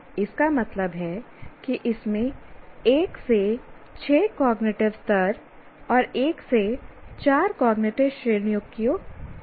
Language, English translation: Hindi, That means it can have one to six cognitive levels and one to four knowledge categories